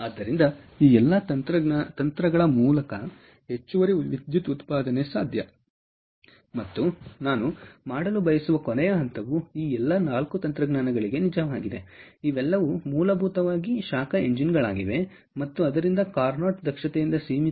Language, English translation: Kannada, ok, and last point that i want to make for that is true for all these four technologies is: these are all essentially heat engines and therefore their maximum efficiencies limited by carnot efficiency